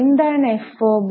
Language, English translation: Malayalam, What is fob